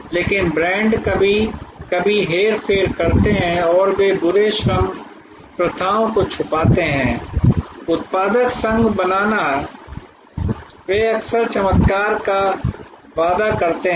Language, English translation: Hindi, But, brands are sometimes manipulative they hide bad labour practices cartelization they often promise miracles